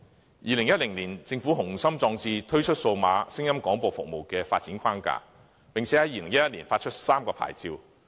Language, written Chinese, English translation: Cantonese, 在2010年，政府滿腹雄心壯志，推出數碼聲音廣播服務的發展框架，並在2011年發出3個牌照。, In 2010 the Government ambitiously launched the development framework for DAB services and subsequently issued three licences in 2011